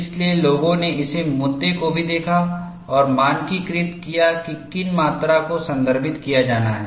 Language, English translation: Hindi, So, people also looked at this issue and standardized which way those quantities have to be referred